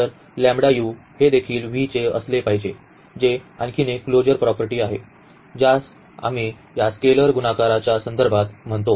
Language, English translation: Marathi, So, this lambda u must also belong to V that is another closure property which we call with respect to this is scalar multiplication